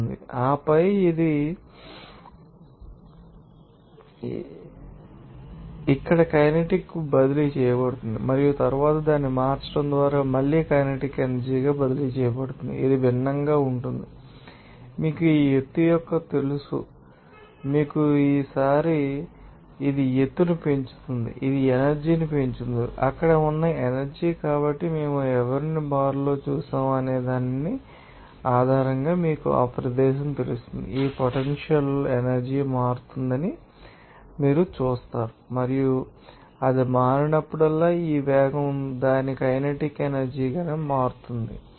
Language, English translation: Telugu, and then it is transferred into kinetic energy here and then is transferred into againkinetic energy just by changing it is different you know height of this you know hill like this time it gains height it losses to speed as kind of energy is transformed into potential energy there so based on whose we saw in the bar it is the same g you know a location you will see that this potential energy will change and whenever it is changed, you know this velocity its kinetic energy will change